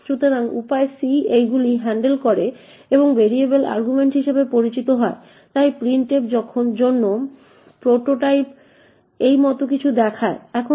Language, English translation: Bengali, So, the way c handles this is by using something known as variable arguments, so the prototype for printf looks something like this